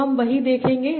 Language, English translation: Hindi, This is the same